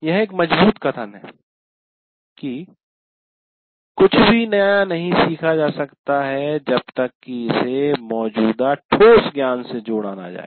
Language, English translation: Hindi, Nothing new can be learned unless it is linked to existing concrete knowledge